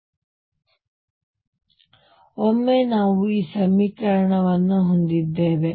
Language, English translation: Kannada, Now, once we have this equation